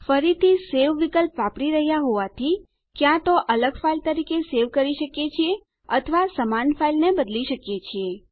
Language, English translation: Gujarati, Again as we use the Save option, we can either save it as a different file or replace the same file